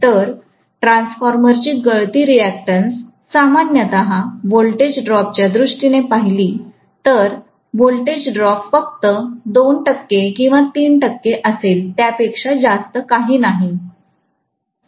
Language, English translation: Marathi, So, the leakage reactance typically of a transformer will be, if I look at in terms of voltages drop, then voltage drop will be only about 2 percent or 3 percent, nothing more than that